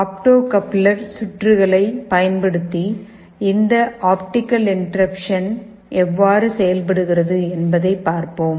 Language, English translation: Tamil, Let us see how this optical interruption works using this opto coupler circuit